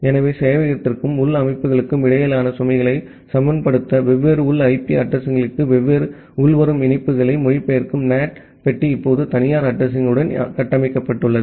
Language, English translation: Tamil, So, the NAT box it translate the different incoming connections to different internal IP addresses to balance the load between the server and the internal systems are now configured with private address